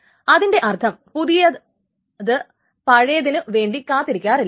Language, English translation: Malayalam, So that means the younger ones do not wait for the older ones